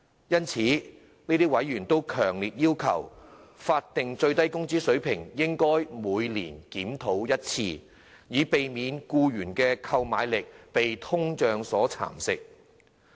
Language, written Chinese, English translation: Cantonese, 因此，這些委員強烈要求，法定最低工資水平應每年檢討一次，以避免僱員的購買力被通脹蠶食。, Therefore these members have strongly requested that the SMW rate be reviewed annually so as to avoid employees purchasing power being eroded by inflation